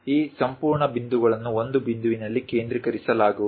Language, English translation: Kannada, These entire points will be focused at one point